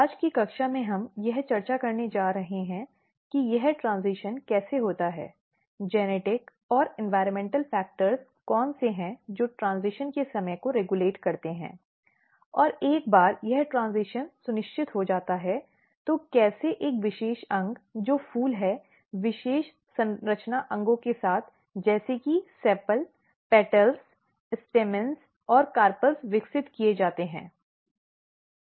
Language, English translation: Hindi, So, in today’s class we are going to discuss how this transition occurs, what are the genetic and environmental factors which basically regulates the timing of the transition and ones this transition has ensured, how a special organ which is flowers with a special structure and with a special organs like sepal, petals, stamens and carpels are developed